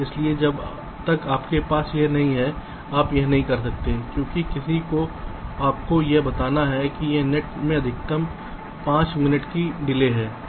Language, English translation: Hindi, so unless you have this, you cannot do this right because, ah, someone has to tell you that this net has to have a maximum delay of, say, five minutes